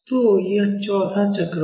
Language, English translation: Hindi, So, that will be the fourth half cycle